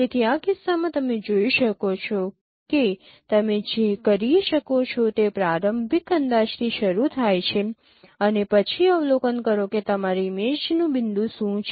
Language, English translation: Gujarati, So, in this case you can see that what you can do is start with an initial estimate and then observe what is your image point